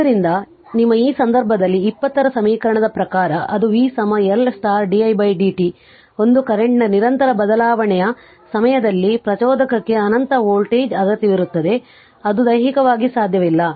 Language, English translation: Kannada, So, your in this case according to equation 20 that is v is equal to L into di by dt a discontinuous change in the current to an inductor requires an infinite voltage which is physically not possible